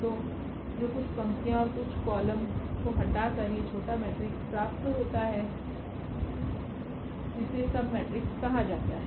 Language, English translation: Hindi, So, whatever this smaller matrix by removing some rows and some columns, that is called the submatrix